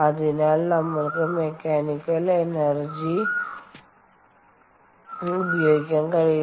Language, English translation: Malayalam, ok, so that is why we cannot use mechanical energy